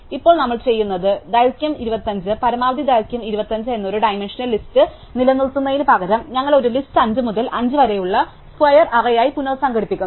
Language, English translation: Malayalam, So, now what we do is instead of maintaining a one dimensional list of length 25 maximum length 25, we reorganize this list as a square array of 5 by 5